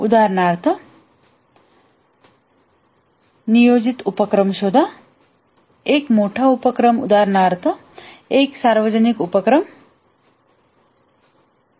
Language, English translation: Marathi, For example, find a planned undertaking, a large undertaking, for example, a public works scheme and so on